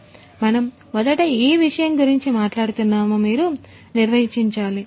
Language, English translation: Telugu, So, you need to first define which subject we are talking about